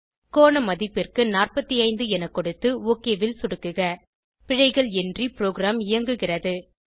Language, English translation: Tamil, Enter 45 for angle value and click OK Program runs without errors